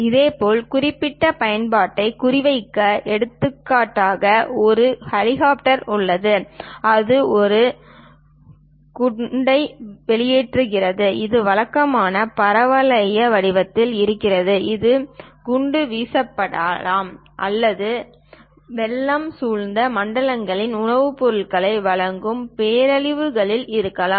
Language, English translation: Tamil, Similarly to target specified application, for example, there is an helicopter which is releasing a bomb; it usually goes in parabolic format, it might be bombed or perhaps in calamities supplying food products to flooded zones